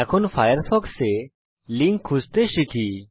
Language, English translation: Bengali, Now lets learn about searching for links in firefox